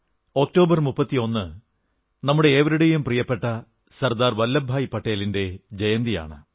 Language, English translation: Malayalam, The 31st of October is the birth anniversary of our beloved Sardar Vallabhbhai Patel